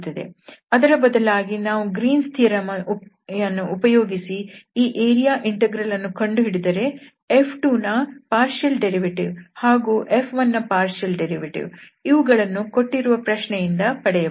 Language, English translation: Kannada, On the other hand, where we if we compute this area integral using this Green’s theorem, then we have the partial derivative of this F 2 and then partial derivative of this F 1 which are given in the problem